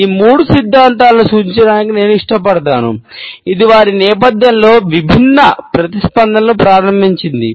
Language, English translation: Telugu, I would prefer to refer to these three theories, which is started different responses in their wake